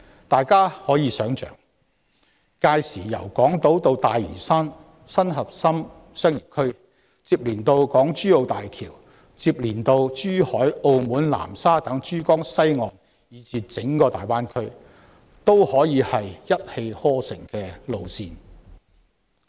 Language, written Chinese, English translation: Cantonese, 大家可以想象，屆時由港島至大嶼山新核心商業區，然後接連到港珠澳大橋、珠海、澳門、南沙等珠江西岸的地點以至整個大灣區，均是一氣呵成的幹道。, Come to imagine that by then there will be an uninterrupted trunk road from Hong Kong Island to the new CBD on Lantau Island connecting to HZMB and then areas in Pearl River West such as Zhuhai Macao and Nansha and even the Greater Bay Area as a whole